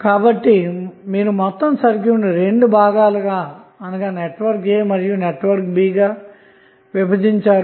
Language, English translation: Telugu, So, you can divide the whole circuit into 2 parts 1 is network A another is network B